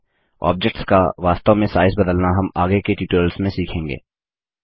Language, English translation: Hindi, We will learn to exactly re size objects in later tutorials